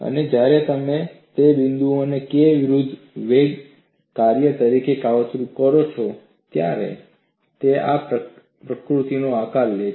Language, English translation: Gujarati, And when you plot those points as the function of K versus velocity, it takes a shape of this nature